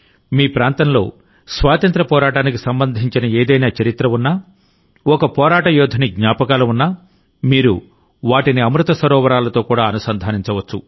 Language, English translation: Telugu, If there is any history related to freedom struggle in your area, if there is a memory of a freedom fighter, you can also connect it with Amrit Sarovar